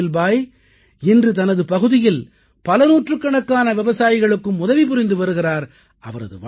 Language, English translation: Tamil, Today, Ismail Bhai is helping hundreds of farmers in his region